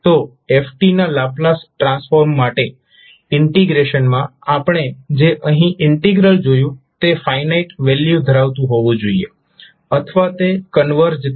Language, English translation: Gujarati, So, in order for ft to have a Laplace transform, the integration, the integral what we saw here should be having a finite value or it will converge